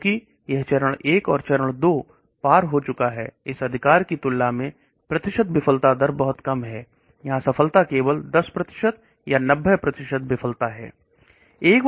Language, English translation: Hindi, Because it has crossed phase 1 and phase 2, the percentage failure rate is much lower when compared to this right, here the success is only 10% or 90% failure